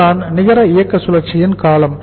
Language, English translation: Tamil, So this is the duration of the net operating cycle